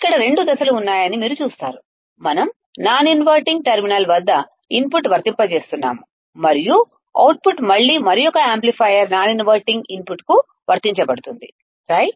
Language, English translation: Telugu, We are applying the input at the non inverting terminal, and the output is again applied to an another amplifier at the non inverting input right